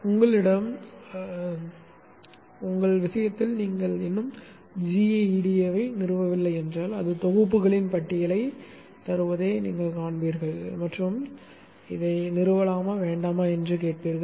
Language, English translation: Tamil, In your case, if you have not at installed GEDA, you will see that it will give a list of packages and ask you whether to install or not you say yes and it will get installed